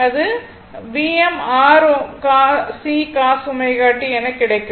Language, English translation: Tamil, So, it will be V m your omega C cos omega t